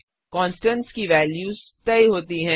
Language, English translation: Hindi, Constants are fixed values